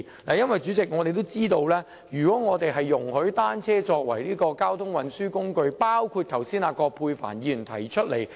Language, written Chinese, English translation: Cantonese, 代理主席，大家也知道，如果容許單車成為交通運輸工具，即如葛珮帆議員剛才所提及，便要檢視道路。, Deputy President we all know that if bicycles are allowed to become a mode of transport as mentioned by Dr Elizabeth QUAT earlier it is necessary to examine our roads